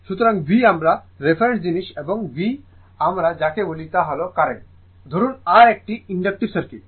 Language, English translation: Bengali, So, V is my reference thing and your what we call this is the current I say R it is in it is inductive circuit